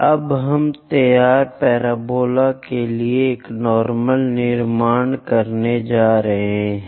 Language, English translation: Hindi, Now let us construct a normal to the drawn parabola